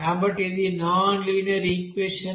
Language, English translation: Telugu, So this is nonlinear equation